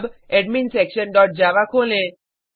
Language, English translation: Hindi, Now, Open AdminSection dot java